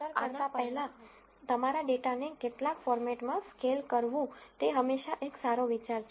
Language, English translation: Gujarati, So, it is always a good idea to scale your data in some format before doing this distance